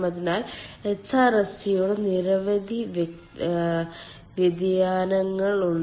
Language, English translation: Malayalam, so, uh, there are many variation of hrsg